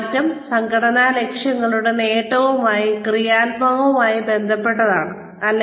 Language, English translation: Malayalam, Is the change, positively related to the achievement, of organizational goals